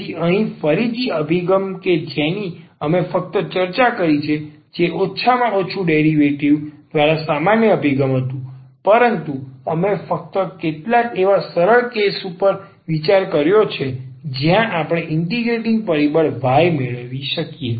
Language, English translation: Gujarati, So, here again that approach which we have discussed which was rather general approach at least by the derivation, but we have considered only few simple cases where we can get this integrating factor y